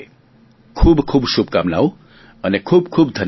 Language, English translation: Gujarati, My best wishes to you all and many thanks